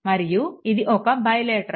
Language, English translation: Telugu, So, it is also bilateral